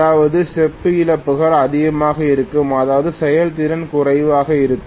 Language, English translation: Tamil, That means the copper losses are going to be high, which means efficiency will be low